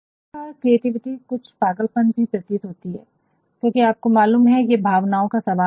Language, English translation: Hindi, Some of the creativity also appears to be a sort of madness, sometimes or the other because you know it is a question of emotions